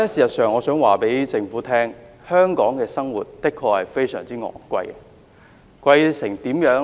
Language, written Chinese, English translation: Cantonese, 不過，我想告訴政府，在香港生活的確非常昂貴，貴到甚麼程度呢？, However I wish to tell the Government that it is genuinely very expensive to live in Hong Kong . How expensive?